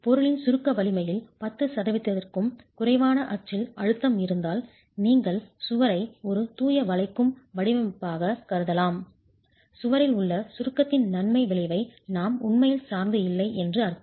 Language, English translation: Tamil, If the axial stress is less than 10% of the compressive strength of the material, you can treat the wall as a pure bending design, meaning that you are really not depending on the beneficial effect of compression in the wall